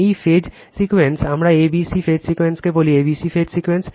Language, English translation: Bengali, This phase sequence, we call a b c phase sequence right we call a b c phase sequence